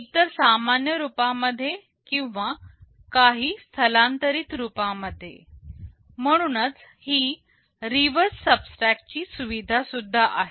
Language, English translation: Marathi, Either in the normal form or in some shifted form that is why this reverse subtract facility is also there